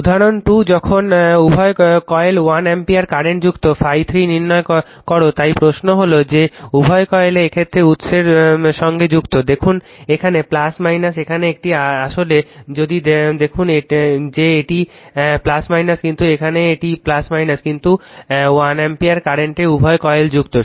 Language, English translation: Bengali, Example 2 when both the coils are excited by 1 ampere current; determine phi 3 right so, question is that the both the coils are excited in that case, look here is plus minus here it is actually if you look into that here it is plus minus, but here it is plus minus, but 1 ampere current both the coils are excited